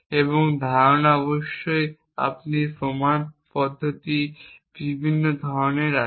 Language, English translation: Bengali, And the idea off course you have different kind of proof procedures